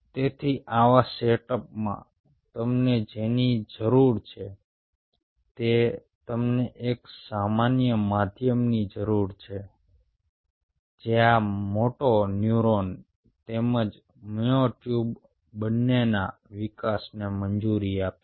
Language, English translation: Gujarati, so what you need it in such a setup is you needed a common medium which will allow growth of both this moto neuron as well as the myotube